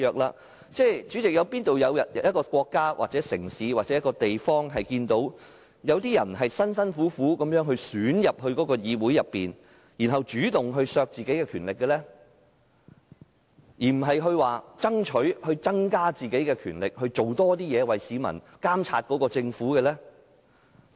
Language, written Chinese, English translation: Cantonese, 代理主席，試問哪個國家、城市或地方會有人辛辛苦苦透過選舉加入議會，然後主動削減自己的權力，而不是爭取增加自己的權力，為市民監察政府？, Deputy President is there any country city or place in this world where people make great efforts to campaign for getting elected to the Council and then take the initiative to reduce instead of enhance their power to monitor the Government on behalf of members of the public?